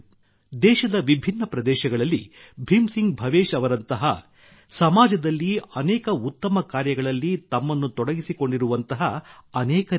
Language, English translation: Kannada, There are many people like Bhim Singh Bhavesh ji in different parts of the country, who are engaged in many such noble endeavours in the society